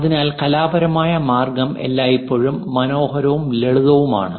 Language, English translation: Malayalam, So, the artistic way always be nice and simple